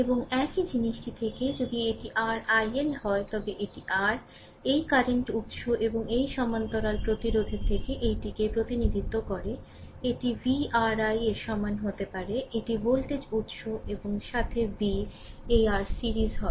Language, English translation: Bengali, And from the same thing, the if it is your i L it is R, the represent this one that from your bilateral from this current source and this parallel resistance, you can make it v is equal to i R, this is the voltage source and with v this R is in series right